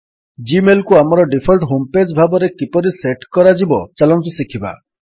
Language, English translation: Odia, Let us learn how to set Gmail as our default home page